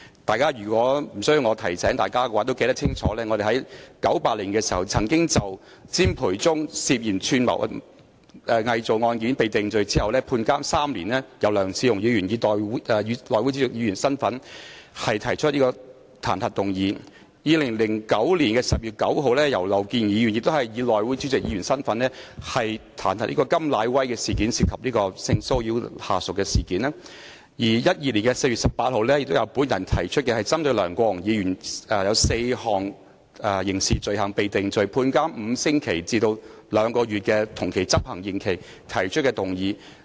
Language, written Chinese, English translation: Cantonese, 大家無須我提醒，也會清楚記得在1998年當詹培忠涉嫌串謀偽造一案罪成被判監3年後，由前議員梁智鴻以內會主席身份提出彈劾議案；在2009年10月9日，前議員劉健儀亦以內會主席身份，就甘乃威涉嫌性騷擾下屬的事件提出彈劾議案，以及在2012年4月18日，我亦曾提出針對梁國雄議員因4項刑事罪行罪成而被判處5星期至兩個月同期執行的刑期而提出的彈劾議案。, Even without my reminder Members will clearly remember the motion of impeachment proposed by former Member LEONG Che - hung in his capacity as Chairman of the House Committee in 1998 after CHIM Pui - chung had been convicted and sentenced to imprisonment for three years for conspiracy to forge; the motion of impeachment in respect of the incident in which KAM Nai - wai was suspected of sexually harassing his subordinate proposed by former Member Miriam LAU also in her capacity as Chairman of the House Committee on 9 October 2009 and the motion of impeachment also proposed by me on 18 April 2012 pinpointing the conviction of LEUNG Kwok - hung on four counts of criminal offences and the sentence of imprisonment for five weeks to two months to run concurrently imposed on him